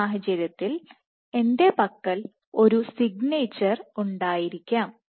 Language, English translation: Malayalam, In this case I might have a signature ok